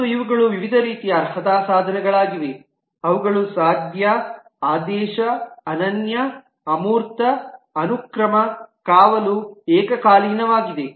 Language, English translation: Kannada, And these are the various different types of qualifiers are possible: ordered, unique, abstract, sequential, guarded, concurrent